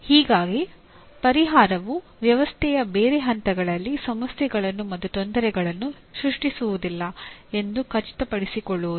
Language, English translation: Kannada, Thus, ensuring that a solution at one level of the system does not create problems and difficulties somewhere else